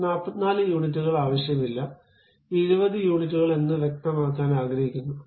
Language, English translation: Malayalam, I do not want 44 units, but something like 20 units, I would like to really specify